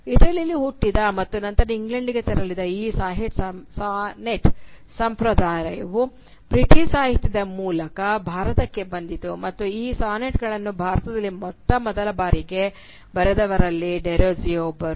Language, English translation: Kannada, This Sonnet tradition which originated in Italy and then move to England, came to India via the British literature and Derozio was one of one of the first Indian practitioners of this sonnet form